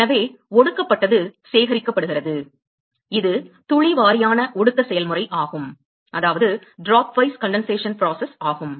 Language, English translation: Tamil, So, the condensate is collected that is the drop wise condensation process